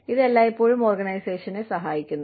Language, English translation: Malayalam, And, it always helps the organization